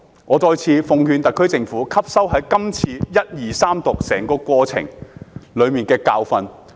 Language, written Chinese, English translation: Cantonese, 我再次奉勸特區政府吸收整個首讀、二讀、三讀過程中的教訓。, I again urge the SAR Government to draw a lesson from the process of First Reading Second Reading and Third Reading